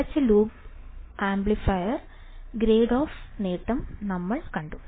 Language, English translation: Malayalam, Then we have seen closed loop amplifier trade off gain